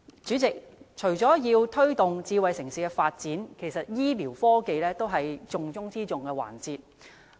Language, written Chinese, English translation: Cantonese, 主席，除了要推動智慧城市發展外，醫療科技也是重中之重的環節。, President in addition to smart city development promoting health care technology is also a top priority